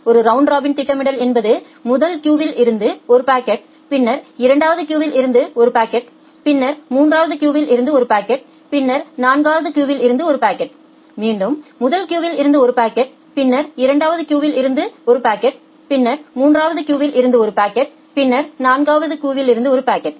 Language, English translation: Tamil, A round robin scheduling means it is just taking one packet from the first queue, then one packet from the second queue, then one packet from the third queue, then one packet from the fourth queue, one packet from the again, one packet from the first queue, one packet from the second queue, one packet from the third queue